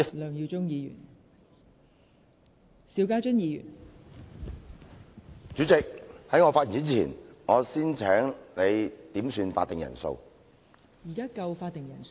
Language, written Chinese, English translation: Cantonese, 代理主席，在我開始發言前，我先要求點算法定人數。, Deputy President before beginning my speech I request a headcount